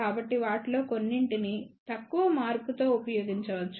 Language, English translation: Telugu, So, some of those can be used, but with little modification